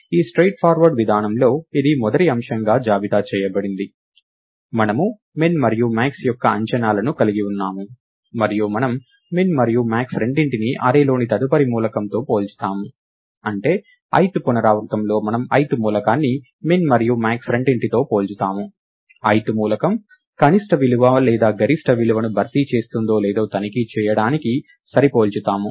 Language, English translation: Telugu, In this straight forward approach, which is listed in the first item, we have estimates of min and max and we compare both min and max, with the next element in the array; that is in the ith iteration we compare the ith element with both min and max, to check if the ith element replaces the minimum value or the maximum value